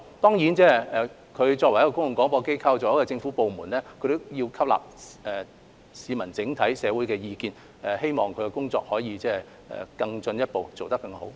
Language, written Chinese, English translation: Cantonese, 當然，港台作為公共廣播機構和政府部門，也要吸納整體社會的意見，希望其工作能夠更進一步，做得更好。, Certainly as a public service broadcaster and government department RTHK must also absorb the views of the community at large . I hope it can make improvements and do its work better